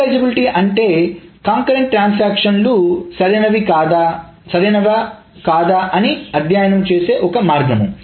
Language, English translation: Telugu, Serializability is a formal way of studying whether concurrent transactions are correct or not